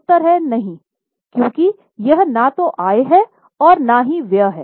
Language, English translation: Hindi, Answer is no because it is neither income nor expense